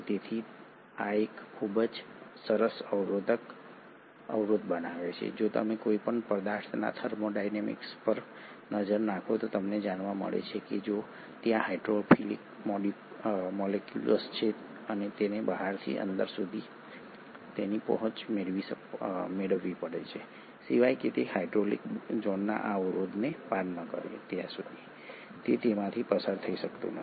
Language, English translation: Gujarati, So this forms a very nice barrier in terms of, if you look at the thermodynamics of any material to pass through you find that if at all there is a hydrophilic molecule and it has to gain its access say from outside to inside, unless it crosses this barrier of hydrophobic zone, it cannot go through